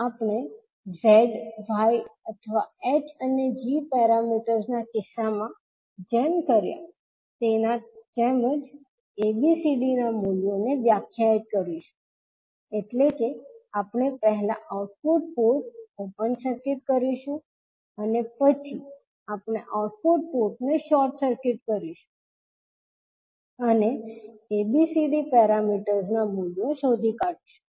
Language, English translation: Gujarati, We will define the values of ABCD similar to what we did in case of Z Y or in case of H and G parameters, means we will first open circuit the output port and then we will short circuit the output port and find out the value of ABCD parameters